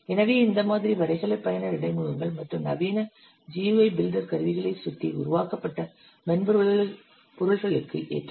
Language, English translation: Tamil, So this model is suitable for software built around graphical user interfaces and modern GI builder tools